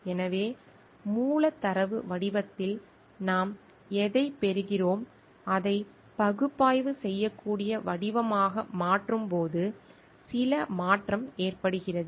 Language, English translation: Tamil, So, what we get in a like raw data form and when we transform it into an analyzable form, certain transformation happens